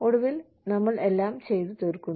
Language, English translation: Malayalam, And eventually, we end up doing everything